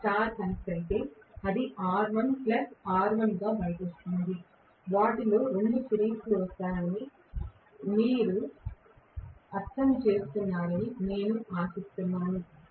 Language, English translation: Telugu, If it is star connected it will come out to be R1 plus R1, I hope you understand because 2 of them will come in series